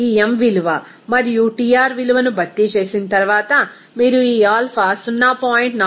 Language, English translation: Telugu, After substituting of this m value and Tr value, you can get this alpha 0